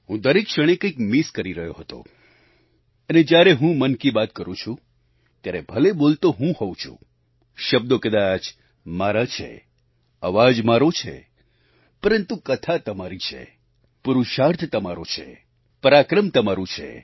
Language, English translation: Gujarati, I used to miss something every moment; when I express myself through 'Mann Ki Baat,' the one speaking is me, the words are mine, the voice is mine, but the story is yours, the 'Purusharth' pertaining to your pursuits and goals is yours, the 'Parakram', the achievement is yours